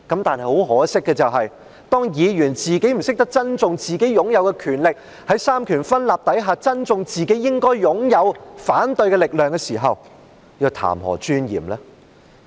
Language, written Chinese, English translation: Cantonese, 但很可惜的是，當議員不懂得珍惜自己擁有的權力，不懂得在三權分立之下珍惜自己應該擁有的反對力量的時候，又談何尊嚴呢？, But much to our regret when Members do not cherish their powers and when they do not cherish the power of opposition that they should possess under the separation of powers among the executive legislature and Judiciary what dignity is there to speak of?